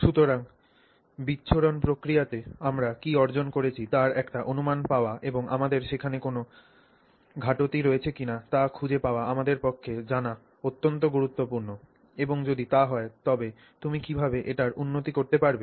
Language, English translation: Bengali, So, it is very important for us to, you know, get a gauge of what we have accomplished in the dispersion process and see if you know there is a shortcoming there and if so how you would go about improving it